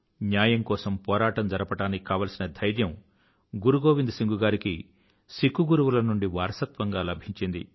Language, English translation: Telugu, Guru Gobind Singh ji had inherited courage to fight for justice from the legacy of Sikh Gurus